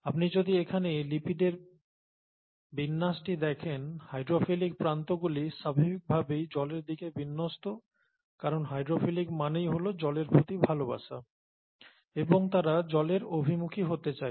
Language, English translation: Bengali, If you look at the orientation of the lipids here, the hydrophilic heads are oriented towards water naturally because the hydrophilic means water loving and they would like to be oriented towards water